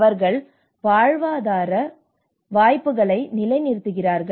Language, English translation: Tamil, And that is how they sustain they livelihood opportunities